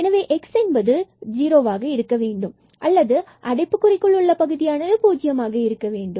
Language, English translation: Tamil, So, either x has to be 0 or this term in this bracket has to be 0